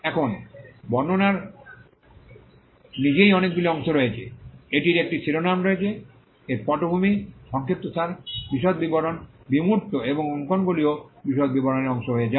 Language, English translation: Bengali, Now, the description itself has many parts; it has a title, it has a background, summary, detailed description, abstract and drawings also become a part of the detailed description